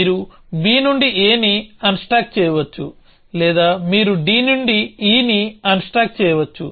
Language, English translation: Telugu, So, you can unstack a from b or you can unstack e from d